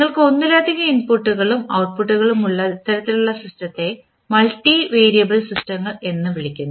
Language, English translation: Malayalam, And this type of system where you have multiple inputs and outputs we call them as multivariable systems